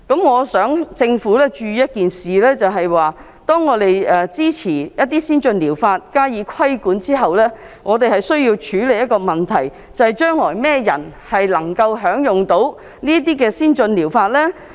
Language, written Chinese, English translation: Cantonese, 我希望政府注意的是，當我們支持一些先進療法，並加以規管後，我們需要處理一個問題，就是將來甚麼人能夠享用這些先進療法呢？, I wish to draw the Governments attention to the fact that after we express our support to these ATPs and put them under regulation we will need to deal with the next problem; and that is who can use these ATPs?